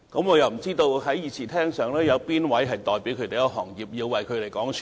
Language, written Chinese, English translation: Cantonese, 我又不知道在議事廳內有哪位議員代表這個行業，要替他們發聲。, Less do I know which Member in the Chamber is representing this profession and thus is required to speak for it